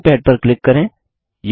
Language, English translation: Hindi, Click on the drawing pad